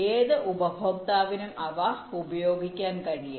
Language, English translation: Malayalam, they can be used by any customer